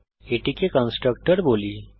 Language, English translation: Bengali, let us call this constructor